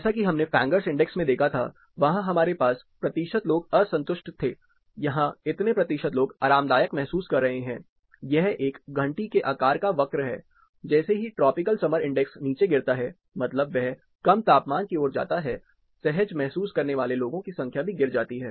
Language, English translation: Hindi, Like we saw in Fangers index, there we had percentage people dissatisfied, here it is percentage people comfortable, it is a bell shaped curve, as a tropical summer index drops that is it goes towards the lower temperature side, the numbers of people feeling comfortable, drops down